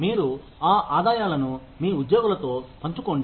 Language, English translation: Telugu, You share those revenues with your employees